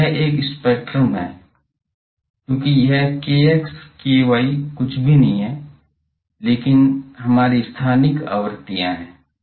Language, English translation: Hindi, So, this is a spectrum because this k x k y is nothing, but our spatial frequencies